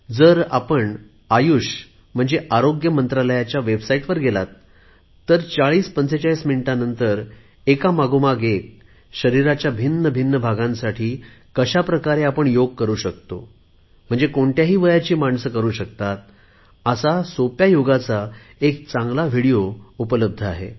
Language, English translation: Marathi, If you go to the website of the Ministry of Ayush, you will see available there a 4045 minutes very good video demonstrating one after another, different kinds of yog asanas for different parts of the body that you can do, people of all ages can do